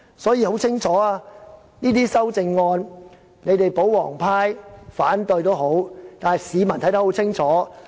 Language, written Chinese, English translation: Cantonese, 所以，對於這些修正案，即使保皇黨要反對，但市民看得很清楚，一定要贊成。, Hence although the royalists will definitely vote against these proposed amendments the general public can see very clearly that we must absolutely vote for them